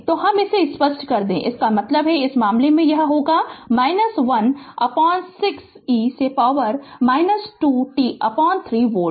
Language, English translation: Hindi, So, let me clear it so that means, in this case it will be minus 1 upon 6 e to the power minus 2 t upon 3 volt